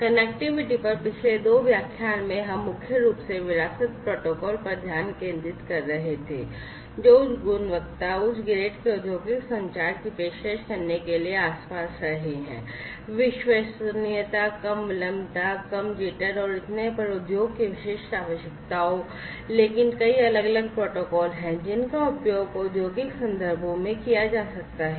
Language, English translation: Hindi, In the previous 2 lectures on Connectivity, we were primarily focusing on legacy protocols, which have been around for offering industrial communication of high quality, high grade, having specific, industry specific requirements of reliability, low latency, low jitter, and so on, but there are many, many different protocols that could be used in the industrial contexts